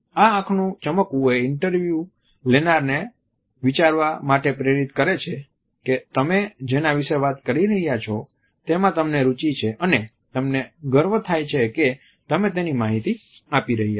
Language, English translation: Gujarati, This shine and a sparkle allows the interviewer to think that what you are talking about is actually an aspect in which you are interested and at the same time you are revealing and information of which you are proud